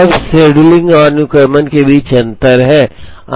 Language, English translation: Hindi, Now, there is a difference between scheduling and sequencing